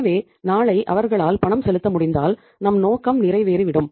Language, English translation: Tamil, So if can make the payment tomorrow then I think it wil serve the purpose